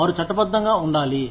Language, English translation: Telugu, They need to be legitimate